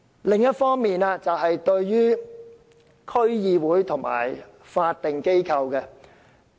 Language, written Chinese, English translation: Cantonese, 另外，代理主席，我想說說區議會和法定機構。, I also want to talk about District Councils and statutory bodies